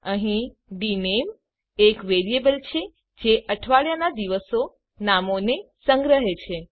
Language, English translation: Gujarati, Here dName is a variable to hold the names of the days of a week